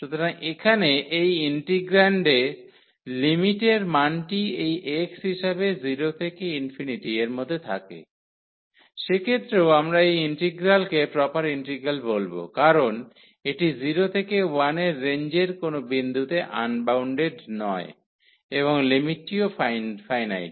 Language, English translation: Bengali, So, here the limiting value of this integrand as this x goes to 0 is infinite, in that case also we will call this integral as a proper integral because this is not unbounded at any point in the range of this 0 to 1 and the limits are also finite the range is finite